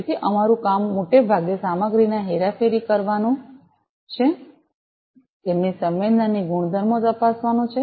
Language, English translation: Gujarati, So, our job is mostly to manipulate the materials check their sensing properties